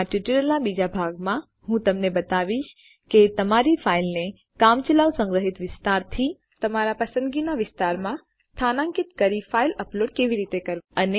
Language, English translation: Gujarati, In the second part of this tutorial Ill show you how to upload your file by moving it from the temporary storage area to a specified area of your choice